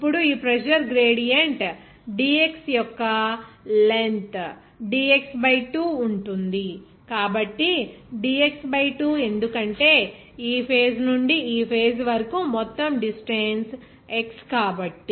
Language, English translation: Telugu, Now, since this pressure gradient will be at a length of dx by 2, why dx by 2 because from this face to this face, total distance is x